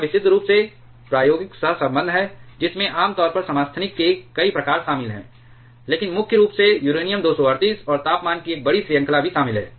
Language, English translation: Hindi, This is purely experimental correlation, which generally involves several kinds of isotopes, but primarily uranium 238, and also involves over a large range of temperature